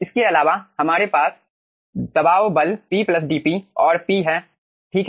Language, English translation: Hindi, apart from that, you will be having also the pressure forces p plus dp and p over here